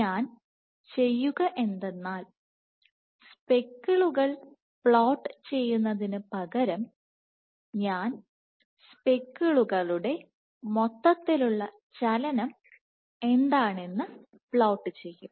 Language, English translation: Malayalam, So, what I will do is instead of dotting plotting the speckles I will plot what is the overall motion of the speckles